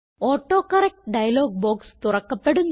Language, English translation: Malayalam, The AutoCorrect dialog box will open